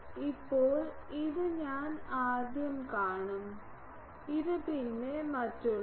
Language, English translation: Malayalam, Now, this I will see first this then, this, then others